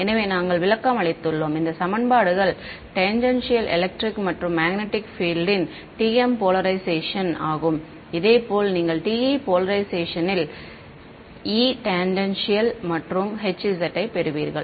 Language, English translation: Tamil, So, we have interpreted these equations as sort of a linear combination of the tangential electric and magnetic fields this was in TM polarization; similarly, if you for TE polarization you would get E tangential and Hz